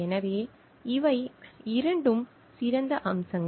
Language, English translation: Tamil, So, these two are finer aspects